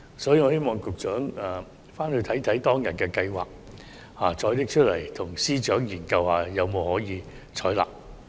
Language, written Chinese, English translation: Cantonese, 所以，我希望局長回顧當時的計劃，再與司長研究是否可以採納。, Therefore I hope the Secretary will review the Scheme back then and examine with the Financial Secretary whether it can be adopted